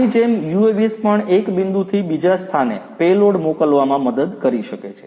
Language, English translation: Gujarati, Like this the UAVs can also help in sending payloads from one point to another